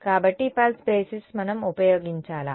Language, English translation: Telugu, So, pulse basis is what we used